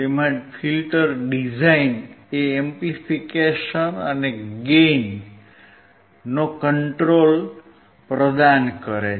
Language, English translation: Gujarati, Included within it is filter design, providing amplification and gain control